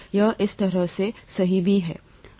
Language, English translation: Hindi, This is how it is right now